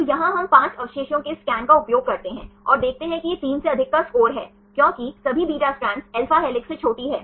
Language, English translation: Hindi, So, here we use this scan of 5 residues, and see it is score of more than 3 because all beta strands are smaller than alpha helixes